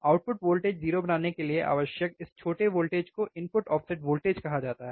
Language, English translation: Hindi, This small voltage that is required to make the output voltage 0 is called the input offset voltage